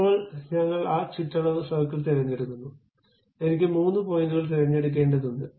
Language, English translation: Malayalam, Now, we are picking that perimeter circle, three points I have to pick